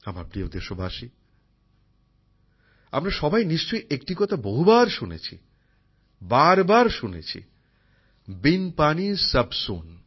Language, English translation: Bengali, My dear countrymen, we all must have heard a saying many times, must have heard it over and over again without water everything is avoid